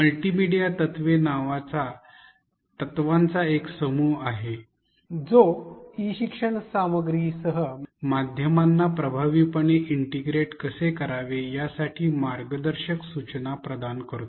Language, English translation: Marathi, There are a set of principles called multimedia principles which provide guidelines on how to effectively integrate media with e learning content